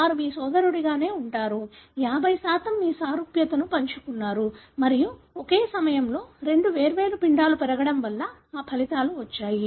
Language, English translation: Telugu, They are, pretty much like your otherwise brother; 50% you have shared similarity and that results because of two different embryos growing at the same time